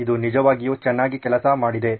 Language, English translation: Kannada, It really worked very, very well